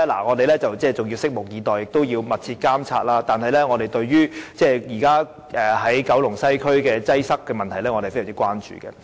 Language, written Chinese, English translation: Cantonese, 我們要拭目以待，而我們會密切監察，但我們對九龍西區現時的擠塞問題是非常關注的。, We have to wait and see and we will monitor the situation closely . Yet we are deeply concerned about the traffic congestion in Kowloon West at present